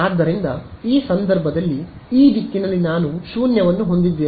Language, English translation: Kannada, So, in this case it will be this direction right here I have a null